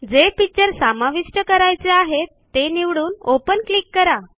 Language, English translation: Marathi, Now choose the picture we want to insert and click on the Open button